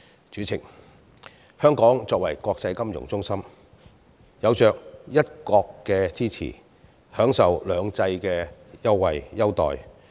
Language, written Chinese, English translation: Cantonese, 主席，香港作為國際金融中心，有着"一國"的支持，享受"兩制"的優待。, President as an international financial centre Hong Kong enjoys the support of one country and the privilege of two systems